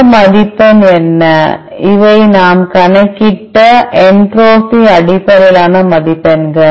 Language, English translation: Tamil, What are this score these are the entropy based scores which we calculated